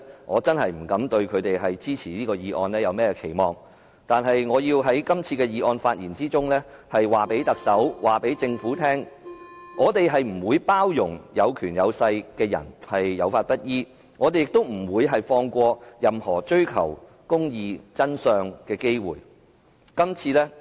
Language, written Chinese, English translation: Cantonese, 我不敢指望他們會支持這議案，但我要在這次議案發言中告訴特首、告訴政府，我們不會包容有權有勢的人有法不依，我們亦不會放過任何追求公義、真相的機會。, I do not expect them to support this motion but I have to tell the Chief Executive and the Government in my speech that we will not tolerate people with money and power not complying with the law and we will not give up any chance to pursue justice and the truth